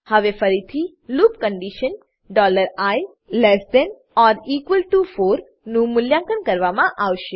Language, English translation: Gujarati, Now again, the loop condition $i=4 will be evaluated